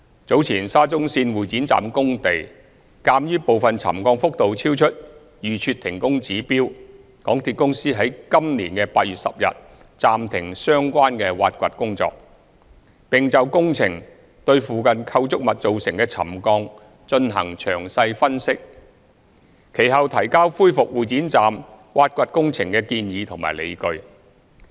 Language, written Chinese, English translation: Cantonese, 早前沙中線會展站工地，鑒於部分沉降幅度超出預設停工指標，港鐵公司於今年8月10日暫停相關挖掘工程，並就工程對附近構築物造成的沉降進行詳細分析，其後提交恢復會展站挖掘工程的建議及理據。, Earlier at the works sites of SCL Exhibition Centre Station as part of the readings of the settlement monitoring points installed in the vicinity exceeded the pre - set trigger levels for suspension of works MTRCL has consequently suspended the relevant excavation works since 10 August this year . MTRCL has completed a detailed analysis of the settlement of structures in the vicinity arising from the works and proposed with justification provided to resume excavation works at Exhibition Centre Station